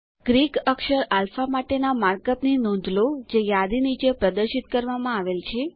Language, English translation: Gujarati, Notice the mark up for the Greek letter as alpha which is displayed below the list